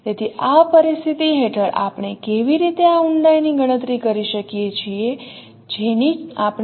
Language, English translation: Gujarati, So under this situation how we can compute this depth that we would like to discuss